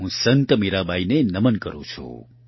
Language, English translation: Gujarati, I bow to Sant Mirabai